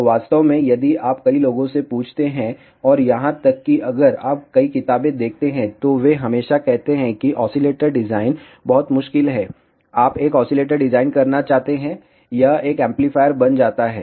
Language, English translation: Hindi, So, in fact, if you ask many people and even if you see many books, they always say oscillator design is very difficult, you want to design an oscillator, it becomes an amplifier